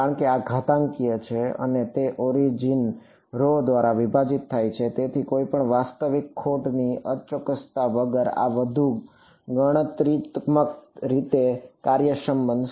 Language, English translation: Gujarati, Because, this is an exponential and it is divided by root rho right; so, this is going to be much more computationally efficient without any real loss in accuracy